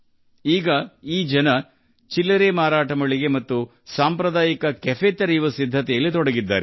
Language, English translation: Kannada, These people are now also preparing to open a retail outlet and a traditional cafe